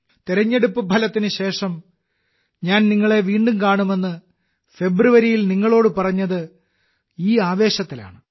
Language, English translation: Malayalam, With this very feeling, I had told you in February that I would meet you again after the election results